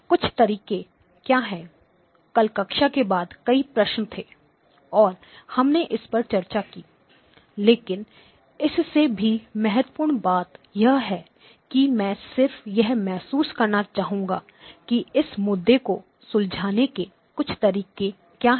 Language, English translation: Hindi, What are some of the ways; yesterday after class several questions were there and we discussed it, but more importantly I just would like to get your feel for what are the some of the ways in which we could address this issue